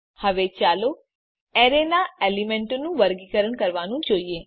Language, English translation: Gujarati, Now let us look at sorting the elements of the array